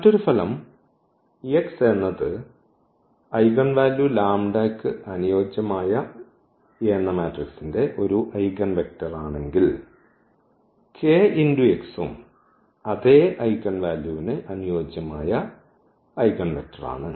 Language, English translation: Malayalam, So, another result we have they said if x is an eigenvector of A corresponding to the eigenvalue lambda, then this kx is also the eigenvector corresponding to the same eigenvalue lambda